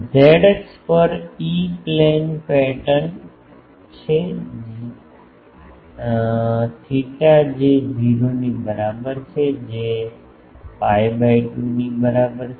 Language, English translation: Gujarati, On the z axis the e plane pattern is theta is equal to 0 is equal to pi by 2